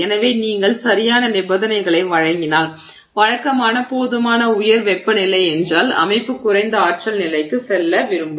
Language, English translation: Tamil, So, if you give it the right kind of conditions which usually means a high enough temperature, the system would like to go back to a lower energy state